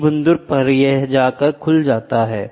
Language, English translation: Hindi, At one point, this will open